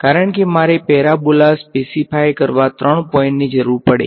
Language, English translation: Gujarati, Because, I need three points to uniquely specify a parabola right